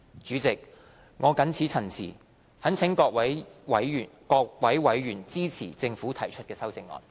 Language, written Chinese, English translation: Cantonese, 主席，我謹此陳辭，懇請各位委員支持政府提出的修正案。, With these remarks Chairman I implore Members to support the amendments proposed by the Government